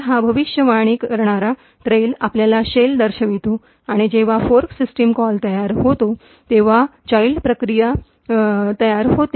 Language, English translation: Marathi, So, this predictor trail shows your shell and when the fork system calls get created is, at child process gets created